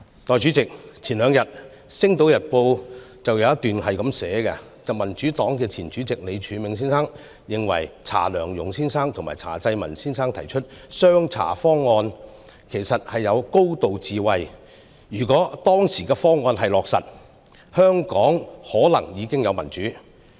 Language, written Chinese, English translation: Cantonese, 代理主席，前兩天《星島日報》有一篇報道，透露民主黨前主席李柱銘先生認為查良鏞先生和查濟民先生提出的"雙查方案"，其實具有高度智慧，如果當時的方案落實，香港可能已有民主。, Deputy President two days ago in an article in Sing Tao Daily it was reported that Mr Martin LEE former Chairman of the Democratic Party thought that the two CHAs proposal put forward by Mr Louis CHA and Mr CHA Chi - ming actually contained great wisdom . If the proposal had been implemented at that time Hong Kong might have had democracy